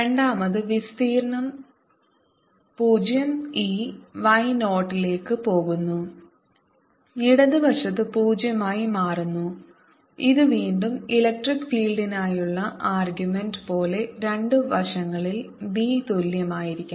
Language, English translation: Malayalam, this y goes to zero and left hand side becomes zero, which again gives, like the argument for electric field, that b on two sides must be equal